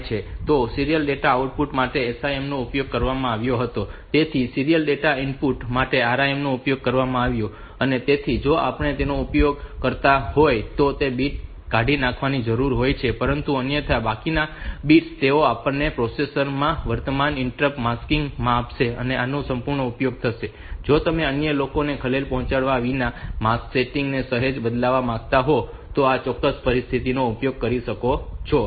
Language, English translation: Gujarati, So this is reserve for serial input data or serial data input, so this RIM instruction is also used for serial data input so the SIM was used for serial data output so RIM used for serial data input, so if we are not using that then that bit has to be dis discarded, but otherwise rest of the bits so they will give us the current interrupt mask setting in the processor and this will be use full like; if you want to change the mask settings slightly without disturbing others, so you can use this particular situation